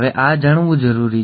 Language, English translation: Gujarati, So this is important to know